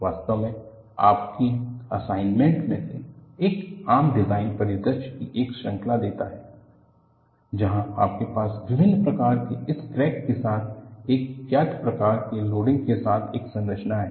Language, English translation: Hindi, In fact, one of your assignments gives a series of common design scenarios, where you have a structure with known type of loading with cracks located in various fashion